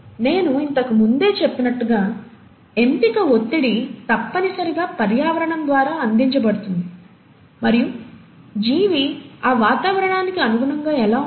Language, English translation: Telugu, Well, as I mentioned earlier, the selection pressure is essentially provided by the environment, and how does the organism adapt to that environment